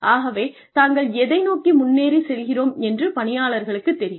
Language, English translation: Tamil, So, the employees know, what they are heading towards